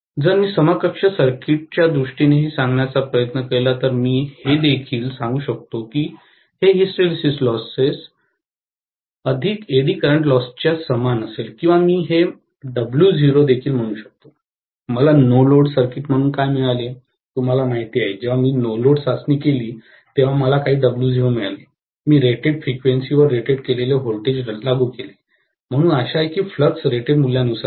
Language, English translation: Marathi, If I try to say it in terms of equivalent circuit, I can say that also that this will be equal to hysteresis loss plus eddy current loss or I can also say this is W0, what I got as a no load circuit, you know when I did no load test, I got some W0, I applied rated voltage at rated frequency, so hopefully the flux is at rated value